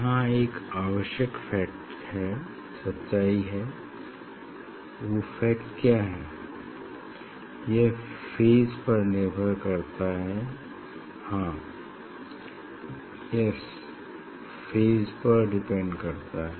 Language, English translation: Hindi, here important fact, what is the important fact, it depends on phase, and yes, it depends on phase